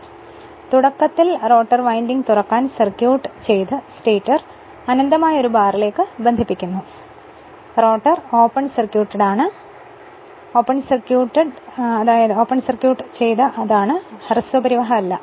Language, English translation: Malayalam, Now assume initially the rotor winding to open circuited and let the stator be connected to an infinite bar; that means, you assume the rotor is open circuited it is it is not short circuited